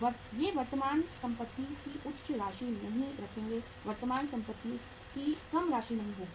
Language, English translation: Hindi, They would not be keeping high amount of current assets, not a low amount of current assets